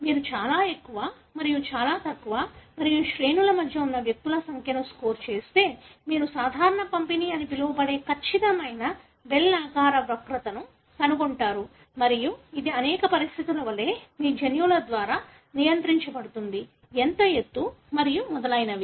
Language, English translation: Telugu, If you score the number of individual that are very tall versus very, very short and in between ranges you will find a perfect bell shaped curve which is called as normal distribution and this again is, like many of the conditions is, regulated by your genes as to how tall and so on